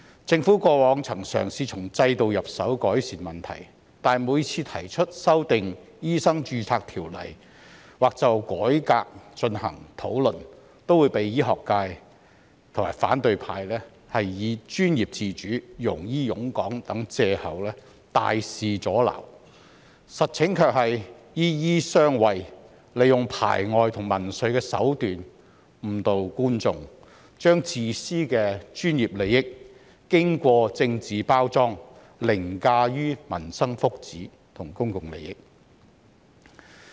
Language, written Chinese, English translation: Cantonese, 政府過往曾嘗試從制度入手改善問題，但每次提出修訂《醫生註冊條例》，或就改革進行討論，都會被醫學界及反對派以"專業自主"、"庸醫湧港"等藉口，大肆阻撓，實情卻是"醫醫相衞"，利用排外和民粹的手段誤導觀眾，將自私的專業利益，經過政治包裝，凌駕於民生福祉和公共利益。, In the past the Government has tried to alleviate the problems by improving the system but every time it proposes to amend the Medical Registration Ordinance or conduct discussions on reforms the medical profession and the opposition camp will use excuses such as professional autonomy and influx of quacks to Hong Kong to strongly obstruct the proposals . The reality is that doctors shielding each other ; those people have adopted xenophobic and populist tactics to mislead the audience and their selfish professional interests after being politically packaged has overridden the welfare of the people and public interests